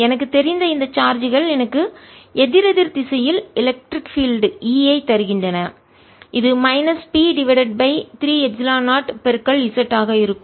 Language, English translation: Tamil, this charge, i know, gives me electric field in the opposite direction: e, which is going to be minus b over three epsilon, zero z